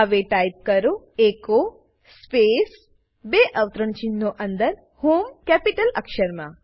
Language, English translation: Gujarati, Now, type echo space within double quotes HOME Press Enter